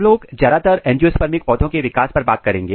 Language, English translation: Hindi, We will be mostly focusing our developments on the angiospermic plant